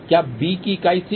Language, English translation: Hindi, What was the unit of b